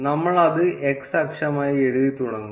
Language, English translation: Malayalam, We would start by writing it as x axis